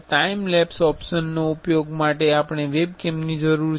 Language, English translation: Gujarati, For using the time lapse option, we have we need a webcam